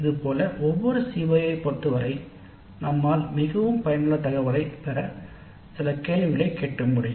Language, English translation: Tamil, Similarly with respect to each CO we can ask certain questions to get data that is quite useful